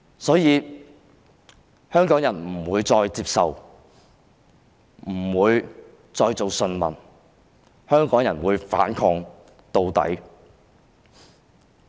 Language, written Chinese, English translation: Cantonese, 所以，香港人不會再當順民，香港人會反抗到底。, Therefore Hongkongers will cease to be docile subjects . Hongkongers will resist to the very end